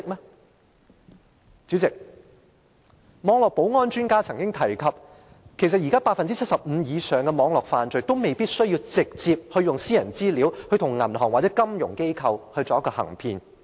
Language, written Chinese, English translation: Cantonese, 代理主席，網絡保安專家曾經提出，其實現時 75% 以上的網絡犯罪，未必需要直接利用私人資料，向銀行或金融機構行騙。, Deputy President network security experts have pointed out that in over 75 % of cybercrimes at present offenders can actually commit fraudulent acts to deceive banks or financial institutions without the need of using any personal data directly